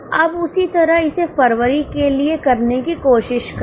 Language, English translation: Hindi, Now same way try to do it for Feb